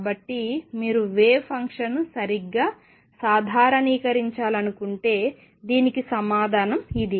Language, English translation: Telugu, So, this is the answer for this if you want to normalize the wave function right